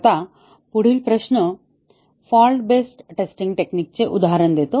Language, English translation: Marathi, Now, the next question is give an example of a fault based testing technique